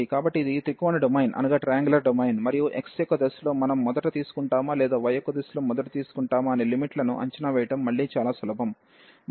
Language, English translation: Telugu, So, this is a triangular domain and again very simple to evaluate the limits whether we take first in the direction of x or we take first in the direction of y